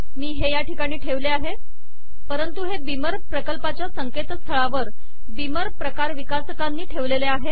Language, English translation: Marathi, I located it at this point but it is also available through this beamer project website by the author of beamer class